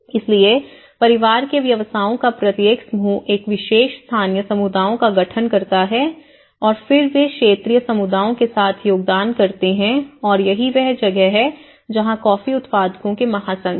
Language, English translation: Hindi, So each group of family businesses constitute a particular local communities and then again they contribute with the regional communities and this is where the coffee growers federation you know